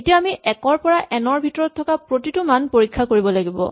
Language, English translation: Assamese, Now we need to test every value in the range 1 to n